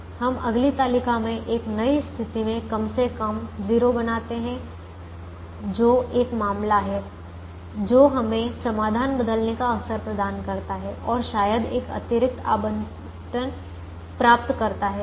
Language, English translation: Hindi, we create atleast a zero in a new position in the next table, which is a case where or which, which provides us with an opportunity to change the solution and perhaps get an extra allocation